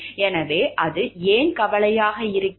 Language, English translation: Tamil, So, why it is a concern